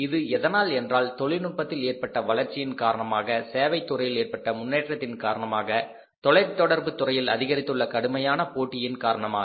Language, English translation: Tamil, So, it is because of the technological advancements, it is because of the growth of the services sector, it is because of the growth of the stiff competition in the telecom sector